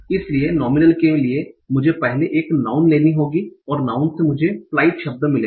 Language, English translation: Hindi, So from nominal will have to first get a noun, and from noun I will get the word flight